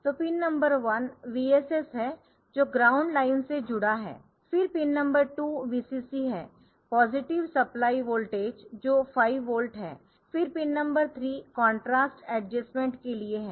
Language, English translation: Hindi, So, that is pin number one is the VSS that is connected to the ground line, when pin 2 is VCC positive supply voltage which is the 5 volt, then pin number 3 is for contrast adjustment